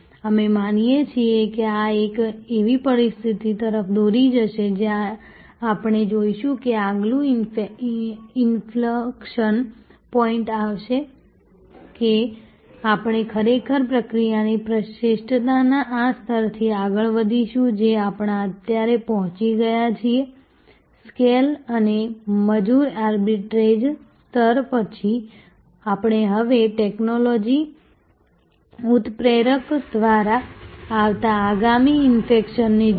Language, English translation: Gujarati, This we believe will lead to a situation, where we will see that the next inflection point will occur, that we will actually go from this level of process excellence, which we have reached now, after the scale and labor arbitrage level we will now, see the next inflection coming through technology catalyzation